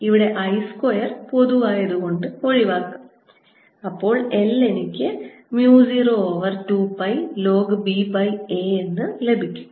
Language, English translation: Malayalam, i should be equal to l i and therefore this gives me l equals mu zero over two pi log of b over a